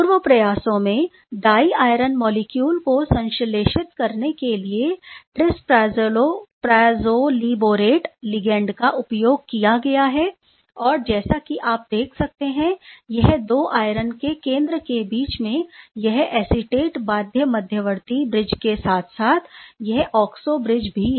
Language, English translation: Hindi, This is an earlier attempt where trispyrazolylborate ligand system has been used for synthesizing this diiron based system and as you can see these are the acetate bound intermediate bridge between the two iron center as well as the oxo bridge is there